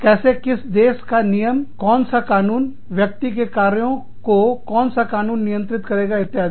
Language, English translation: Hindi, How, which country rules, which the law, which country will govern, the actions of this individual, etcetera